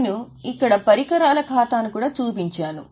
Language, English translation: Telugu, I have also shown equipment account here